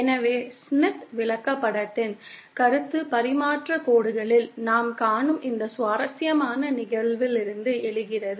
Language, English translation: Tamil, So, the concept of Smith chart arises from this interesting phenomenon that we see in transmission lines